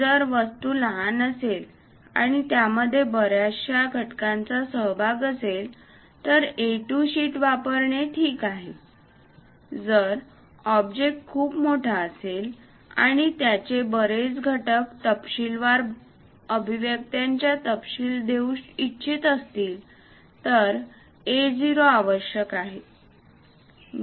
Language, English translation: Marathi, If the object is small and small number of elements are involved in that, is ok to use A2 sheet; if the object is very large and have many components would like to give detailed expressions details, then A0 is required